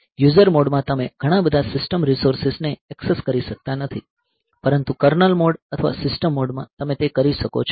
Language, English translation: Gujarati, So, it is you cannot; so in user mode you cannot access many of the this system resources, but in kernel mode or system mode you can do that